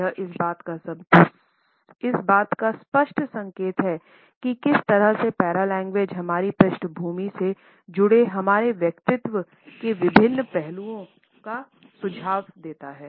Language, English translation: Hindi, This is a clear indication of how paralanguage suggest different aspects related with our personality in background